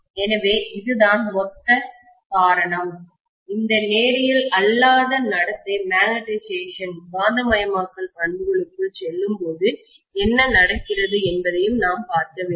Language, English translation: Tamil, So that’s all the more reason, we should also take a look at what happens when this non linear behavior creeps in into the magnetization characteristics, okay